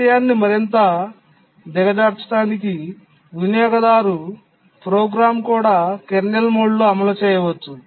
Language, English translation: Telugu, To make the matter worse, even a user program can execute in kernel mode